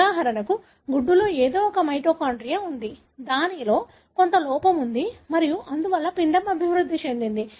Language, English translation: Telugu, For example, the egg somehow had a mitochondria, which had some defect and therefore that embryo developed